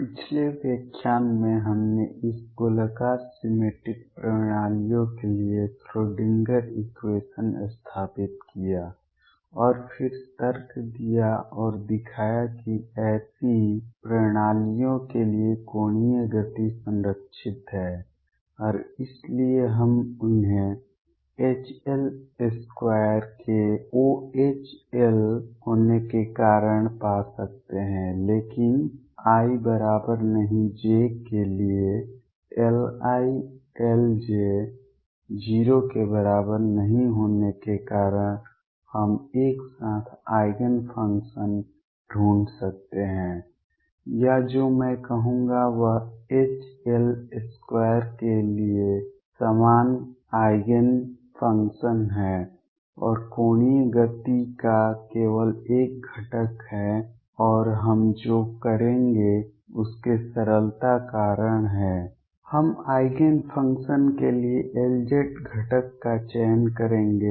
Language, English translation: Hindi, In the previous lecture, we set up the Schrodinger equation for this spherically symmetric systems and then argued and showed that the angular momentum is conserved for such systems and therefore, we can find them because of H L square being 0 H L being 0, but L i L j not being equal to 0 for i not equal to j, we can find the Eigen functions that are simultaneous Eigen functions or what I will say is common Eigen functions for H L square and only one component of the angular momentum and what we will do is because of the simplicity we will choose the L z component for Eigen functions